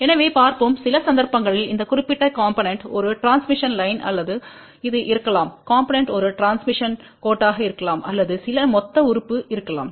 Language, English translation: Tamil, So, we will see many cases later on where this particular component may be a transmission line or this component may be a transmission line or there may be some lump element